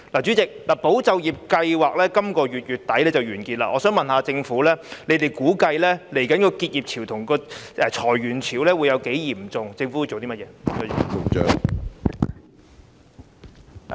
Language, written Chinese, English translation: Cantonese, 主席，"保就業"計劃將於本月底完結，我想問政府，即將出現的結業潮和裁員潮估計會有多嚴重？, President the Employment Support Scheme ESS will come to a close at the end of this month . Can the Government tell me how serious the expected upcoming waves of business closures and layoffs will be?